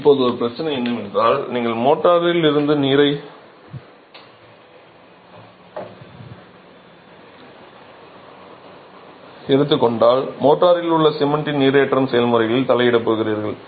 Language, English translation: Tamil, Now, there is a problem because if you take away water from mortar you are going to interfere with the hydration processes of the cement in mortar